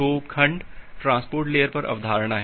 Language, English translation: Hindi, So, at the segment is the concept at the transport layer